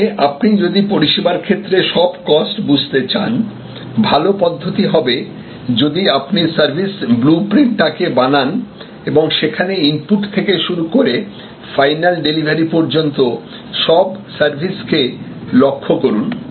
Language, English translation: Bengali, So, which means that, if you want to understand all your costs in providing a service, it is good to draw the service blue print and follow from the input to the final delivery of service to the consumer